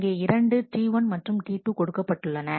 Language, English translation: Tamil, So, here are 2 transactions T 1 and T 2